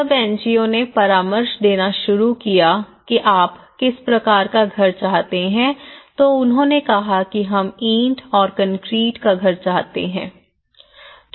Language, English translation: Hindi, When the NGOs have started consulting what type of house do you want they said yes we want a brick and concrete house